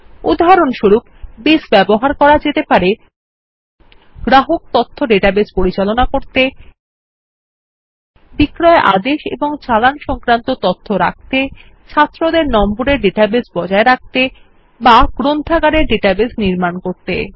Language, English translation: Bengali, For example, Base can be used to manage Customer Information databases, track sales orders and invoices, maintain student grade databases or build a library database